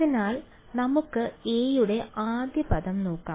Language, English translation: Malayalam, So, let us look at the first term for a